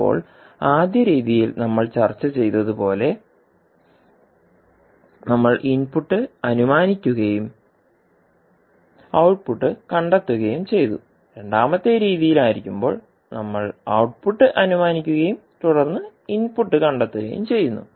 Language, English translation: Malayalam, Now, in the first method, as we discussed, we assume input and we found the output while in second method, we assume the output and then find the input